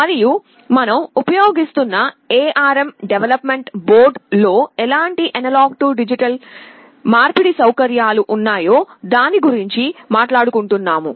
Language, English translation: Telugu, And we shall be talking about what kind of A/D conversion facilities are there in the ARM development board that we shall be using